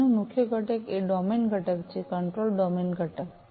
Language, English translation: Gujarati, So, the main component over here is the domain component the control domain component